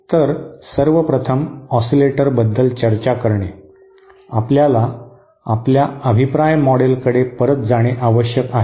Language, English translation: Marathi, So the first thing is to discuss about oscillators, we need to go back to our feedback model